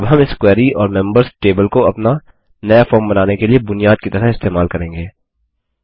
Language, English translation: Hindi, Now we will use this query and the members table as the base for creating our new form